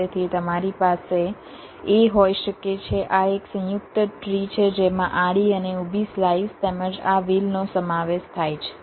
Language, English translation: Gujarati, this is a composite tree which consists of horizontal and vertical slices, as well as this wheel